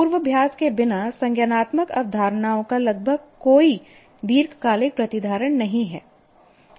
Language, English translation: Hindi, There is almost no long term retention of cognitive concepts without rehearsal